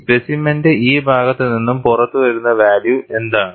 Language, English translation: Malayalam, What is the value it is coming out on this side of the specimen